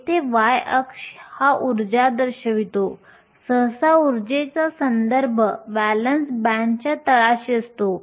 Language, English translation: Marathi, The y axis here refers to energy; usually the energy is referenced with respect to the bottom of the valence band